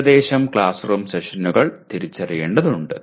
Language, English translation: Malayalam, Just roughly the classroom sessions need to be identified